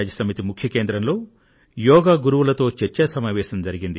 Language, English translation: Telugu, A 'Yoga Session with Yoga Masters' was organised at the UN headquarters